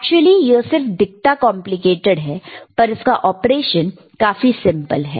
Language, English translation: Hindi, Actually, it just looks complicated, the operation is really simple, right